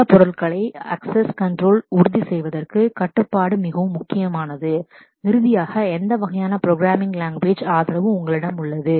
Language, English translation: Tamil, Access control is very important for ensuring security and finally, what kind of programming language support do you have